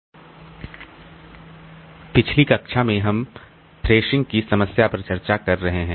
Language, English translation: Hindi, In our last class we have been discussing on the problem of thrashing